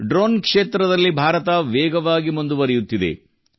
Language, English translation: Kannada, India is also moving fast in the field of drones